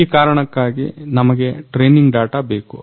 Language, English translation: Kannada, So, for this we need training data